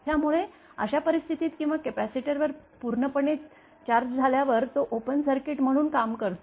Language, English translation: Marathi, So, in that case, or as the capacitor become fully charged then it behaves as an open circuit